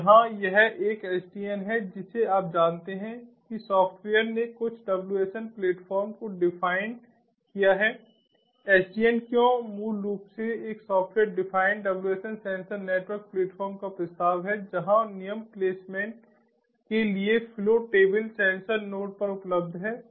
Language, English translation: Hindi, you know, software defined some wsn platform, sdn why is basically proposes a software defined wsn sensor network platform where the flow table for rule placement is ah is available at the sensor nodes